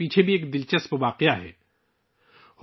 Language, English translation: Urdu, Actually, there is an interesting incident behind this also